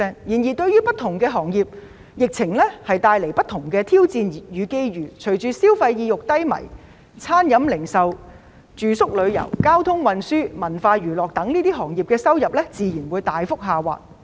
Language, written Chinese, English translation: Cantonese, 然而，對於不同的行業，疫情帶來了不同的挑戰與機遇，隨着消費意欲低迷，餐飲、零售、住宿、旅遊、交通運輸、文化娛樂等行業的收入自然大幅下滑。, The epidemic has brought different challenges and opportunities for different industries . With low consumer sentiments the catering retail accommodation tourism transportation cultural and entertainment industries have naturally suffered a substantial decrease in business turnovers